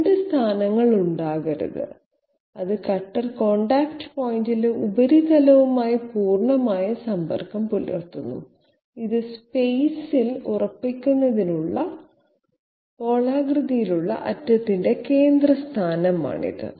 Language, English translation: Malayalam, There can be no 2 positions, it is not a it is completely you know in contact with the surface at the cutter contact point and this is this is the location of its central position of the spherical end to you know fix it in space